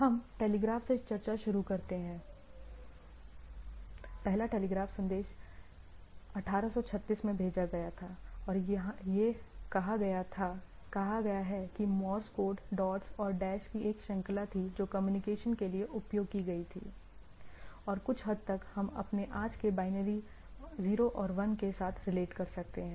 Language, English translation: Hindi, So, we start from 1836 when the telegraph, first telegraph message was sent and it has been said that Morse Code, a series of dots and dashes which were used for communication and somewhat we find analogy with our today’s binary 0 and 1